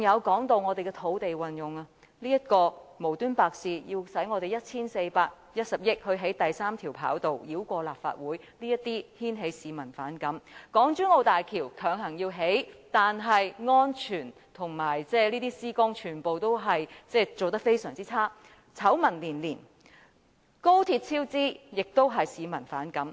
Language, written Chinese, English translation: Cantonese, 還有土地運用方面，政府無故花 1,410 億元興建第三條跑道，繞過立法會，這些都引起市民反感；港珠澳大橋強行興建，但安全和施工全部做得非常差劣，醜聞連連；高鐵超支也令市民反感。, In addition to it is the land use aspect the Government bypassed the Legislative Council and spent 141 billion in the construction of the third runway without reason . All these have upset the public . The Hong Kong - Zhuhai - Macao Bridge was built forcibly but its safety measures and implementation of works are all badly done scandals are incessant and the overspending of the Express Rail Link also made the public feel bad